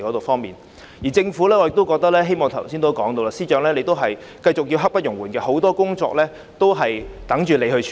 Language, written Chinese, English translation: Cantonese, 至於政府方面，我剛才也提到司長的工作刻不容緩，很多工作有待司長處理。, As for the Government just now I mentioned that the work of the Chief Secretary can brook no delay and there is a lot of work pending disposal by him